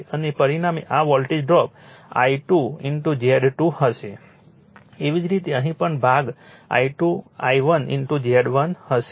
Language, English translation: Gujarati, And resultant will be this voltage drop will be I 2 into Z 2 similarly here also this part will be I 2 I 1 into Z 1